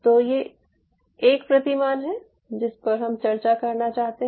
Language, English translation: Hindi, so this is one paradigm which i wanted to discuss